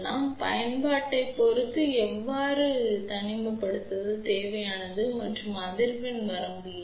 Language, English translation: Tamil, So, depending upon the application, how much isolation is required and what is the frequency range